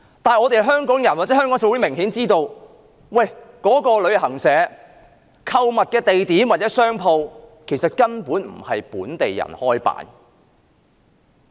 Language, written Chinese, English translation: Cantonese, 然而，香港人或香港社會明顯知道，旅行團的購物地點或那間商店根本不是由本地人營辦。, Nonetheless it was apparent to the people or the community of Hong Kong that the shops to be patronized by tour groups or that particular shop was not operated by local people